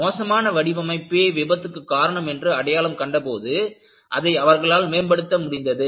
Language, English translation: Tamil, When they identified that, they were due to poor design; they were able to improve it